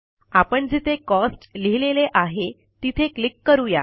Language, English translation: Marathi, I will click on the cell which has Cost written in it